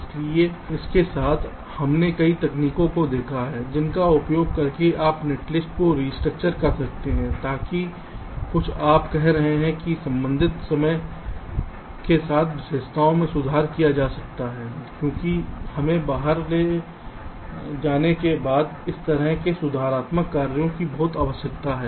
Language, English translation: Hindi, so with this we have seen a number of techniques using restructure, ah, netlist, so that some you can say characteristics, which respective timing can be improved, because we need a lot of this kind of corrective actions to be taken